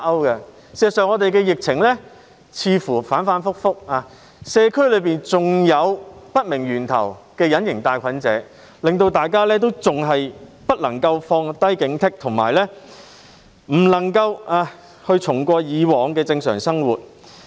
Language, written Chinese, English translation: Cantonese, 事實上，本港的疫情似乎反覆不定，社區內還有源頭不明的隱形帶菌者，大家因而不能放下警惕，回復以往的正常生活。, In fact the epidemic situation in Hong Kong seems volatile and asymptomatic cases with unknown sources still exist in the community . As a result people have to remain vigilant and cannot resume their previous normal lives